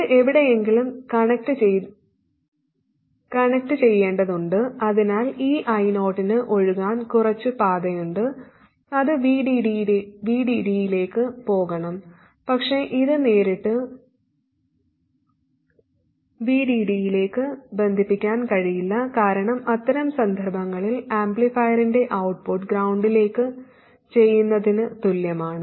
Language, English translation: Malayalam, It has to get connected somewhere so that this I 0 has some path to flow and it has to go to VDD where it can't be connected directly to VD because in that case that is like shorting the output of the amplifier to ground